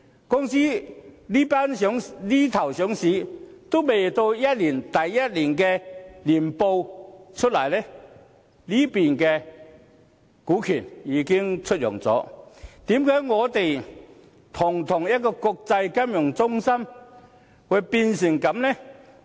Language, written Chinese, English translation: Cantonese, 公司這邊廂上市，連第一年年報還未發表，那邊廂股權已經出讓，為何堂堂一個國際金融中心會變成這樣呢？, As soon as a company is listed and even before the release of its first annual report its shares are already for sale . Why has a big international financial centre like ours ended up this way?